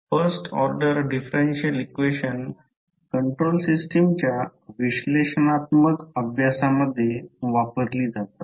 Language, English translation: Marathi, First order differential equations are used in analytical studies of the control system